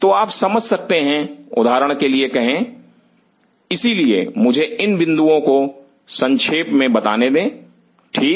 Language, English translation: Hindi, So, you see or say for example, so let me jot down these points ok